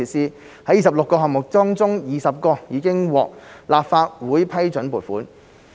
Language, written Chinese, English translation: Cantonese, 在26個項目中 ，20 個已獲立法會批准撥款。, Out of the 26 projects 20 have obtained funding approval from the Legislative Council